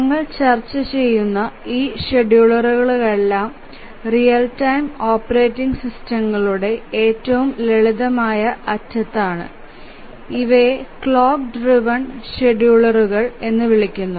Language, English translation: Malayalam, So, all these schedulers that we are looking at are at the simplest end of the real time operating systems and these are called the clock driven schedulers